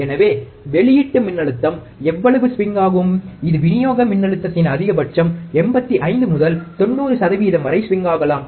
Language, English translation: Tamil, So, this is how much the output voltage can swing, it can swing for a maximum upto 85 to 90 percent of the supply voltage